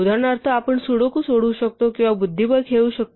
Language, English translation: Marathi, For instance, we can solve Sudoku or we can play chess against a program